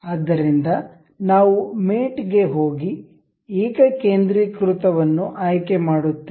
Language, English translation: Kannada, So, we will go to mate and select concentric